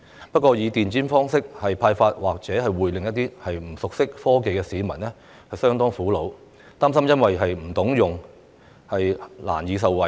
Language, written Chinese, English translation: Cantonese, 不過，以電子方式派發消費券，或會令一些不熟悉科技的市民相當苦惱，擔心因不懂得操作而難以受惠。, Nevertheless issuing consumption vouchers by electronic means may make some non - tech - savvy people quite distressed . They are worried that they may not benefit from it because they have no idea of the operation of the vouchers